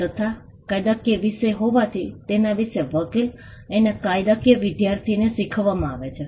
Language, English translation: Gujarati, And being a legal subject, it is something that is taught to lawyers and law students